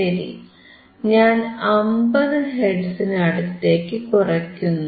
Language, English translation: Malayalam, So, I am decreasing 250 hertz, close to 50 hertz